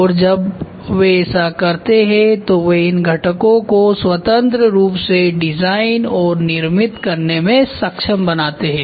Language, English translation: Hindi, And when they do that they also makes where which enables components to be designed and produced independently